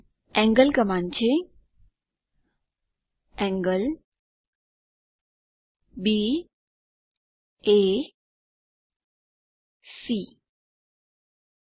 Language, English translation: Gujarati, Angle command is angle[B,A,C]